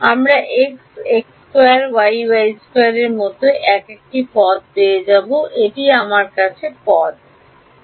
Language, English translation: Bengali, We will get a term like x, x square y y square these are the terms I will get